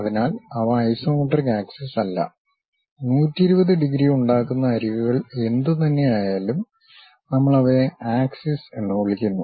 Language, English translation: Malayalam, So, they are not isometric axis; whatever the edges that make 120 degrees, we call them as axis